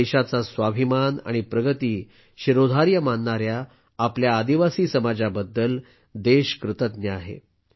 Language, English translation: Marathi, The country is grateful to its tribal society, which has always held the selfrespect and upliftment of the nation paramount